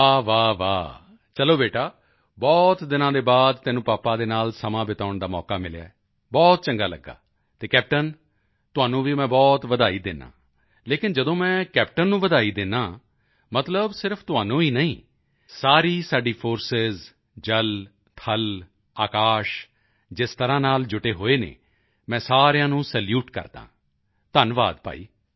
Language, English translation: Punjabi, Alright Beta after a long time you have got a chance to spend some time with your father, and it feels very good and I congratulate you captain and when I congratulate the captain I mean not only him but all our Forcesnavy, army and air force, I salute everyone, the way they are operating cohesively